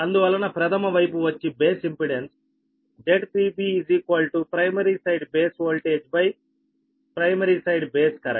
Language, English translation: Telugu, therefore, primary side base impedance z p b is equal to primary side base voltage by primary side base current